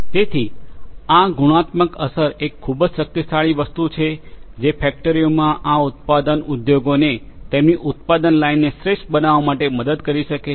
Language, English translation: Gujarati, So, this multiplicative effect becomes a very powerful thing which can help these manufacturing industries in the factories to optimize their product lines